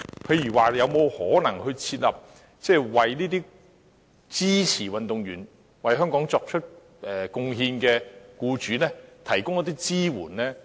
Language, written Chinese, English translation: Cantonese, 例如是否有可能向支持運動員為香港作出貢獻的僱主提供一些支援呢？, For example is it possible to provide some backing to employers who support athletes in making contribution to Hong Kong?